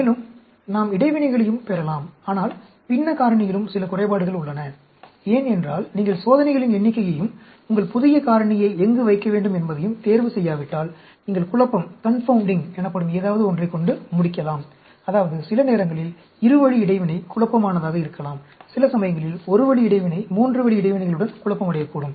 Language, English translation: Tamil, And, we can also get interactions, but there are some disadvantages also in fractional factorial, because, unless you choose the number of experiments and where to put in your new factor, you may end up having something called confounding; I mean, sometimes, a two way interaction may be confounding, and sometimes a one way interaction may be confounding with three way interactions and so on